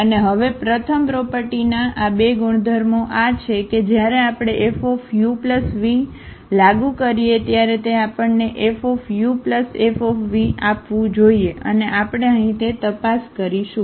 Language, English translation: Gujarati, And now these 2 properties of the first property is this that when we apply F on this u plus v they should give us F u plus F v and that we will check here